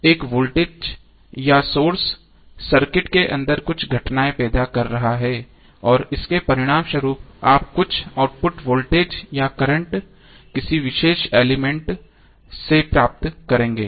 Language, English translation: Hindi, So voltage or current sources is causing some phenomena inside the circuit and as a result that is effect you will get some output voltage or current a particular element